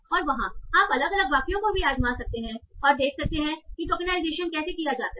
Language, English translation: Hindi, And there you can also try different sentences and see how the tokenization is done